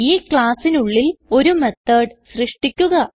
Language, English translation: Malayalam, Inside the class create a method